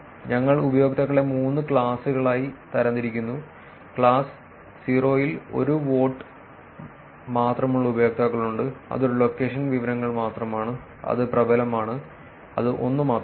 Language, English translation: Malayalam, We group users into three classes, class 0 consists of users who have only one vote that is only one location information that is predominant, and that is only one